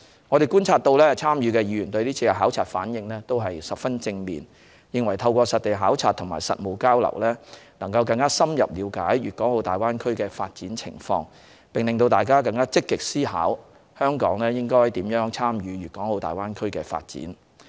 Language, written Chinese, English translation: Cantonese, 我們觀察所得，參與的議員對是次考察反應都十分正面，認為透過實地考察和實務交流，能更深入了解大灣區的發展情況，並使大家更積極思考香港應如何參與大灣區的發展。, Our observations show that participating Members response to this duty visit was very positive and in their view the site visits and practical exchanges could further deepen their understanding of the development of the Greater Bay Area and drive them to give more proactive thoughts to Hong Kongs participation in the development of the Greater Bay Area